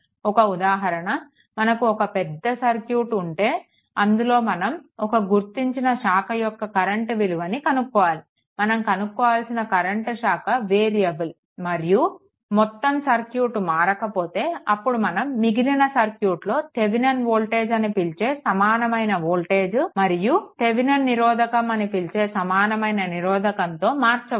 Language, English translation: Telugu, And if that branch your what you call and if the branch resistance is variable say but rest of the circuit is unchanged, then the rest of the circuit we can find out to an equivalent your what you call voltage called Thevenin voltage and equivalent resistance called Thevenin resistance